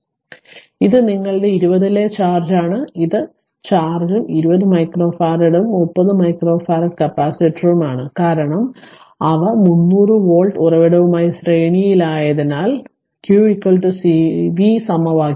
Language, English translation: Malayalam, Therefore this is that your what you call this is the charge on 20 and your this is actually there will be an is right this is the charge and 20 micro farad and 30 micro farad capacitor, because they are in series with the 300 volt source therefore, we know q is equal to cv from the formula